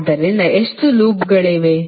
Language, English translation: Kannada, So how many loops are there